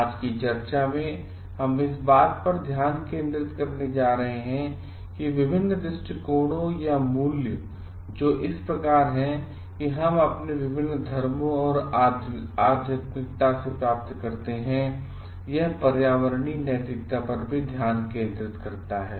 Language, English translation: Hindi, In today s discussion we are going to focus on how the different aspects or the values which are like that we get from our different religions and spirituality, how it also focuses on environmental ethics